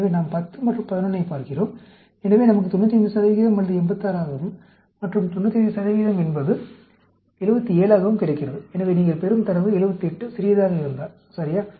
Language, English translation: Tamil, So, we look at 10 and 11; so, we get 95 percent is 86, and 99 percent is 77; so, if the data which you get 78 is smaller, ok